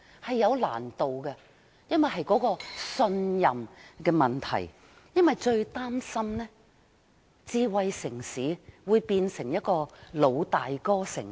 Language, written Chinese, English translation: Cantonese, 這是有難度的，因為牽涉信任問題，我們最擔心的是智慧城市會變成一個"老大哥"城市。, It is difficult to do so because trust is the issue . Our greatest concern is that smart city will become a Big Brother city